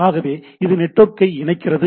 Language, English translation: Tamil, So it connects network right